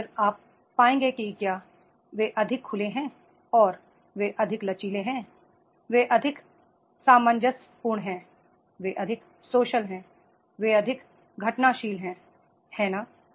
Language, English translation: Hindi, And then you will find that is they are more open and they are more flexible, they are more cohesive, they are more social, they are more eventful, right